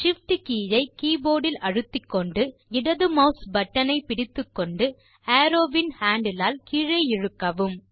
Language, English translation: Tamil, Now, press the Shift key on the keyboard, hold the left mouse button and using the arrows handle, drag it down